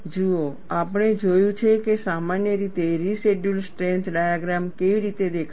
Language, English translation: Gujarati, See, we have seen how a residual strength diagram would in general appear